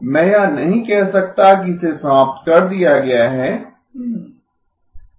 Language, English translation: Hindi, I cannot say it is eliminated